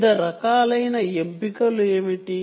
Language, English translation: Telugu, what are the different types of choices